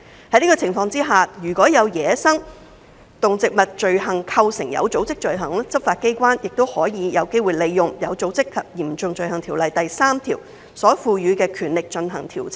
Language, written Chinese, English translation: Cantonese, 在這個情況下，如果有走私野生動植物罪行構成有組織罪行，執法機關也有機會利用《有組織及嚴重罪行條例》第3條所賦予的權力進行調查。, In this scenario if a relevant crime involving wildlife trafficking constitutes an organized crime law enforcement agencies may also utilize investigative powers under section 3 of OSCO